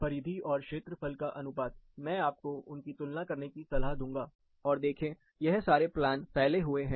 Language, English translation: Hindi, The perimeter to area ratio, I would recommend you compare them, and see, the plans are more loosely packed